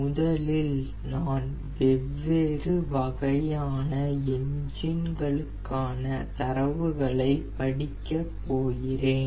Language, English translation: Tamil, so first i will read the data for this of the different types of engines